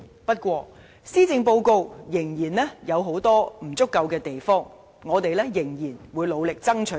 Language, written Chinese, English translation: Cantonese, 不過，施政報告仍有很多不足之處，我們仍會努力爭取。, However the Policy Address still have much room for improvement and we will go on fighting for enhancements by the Government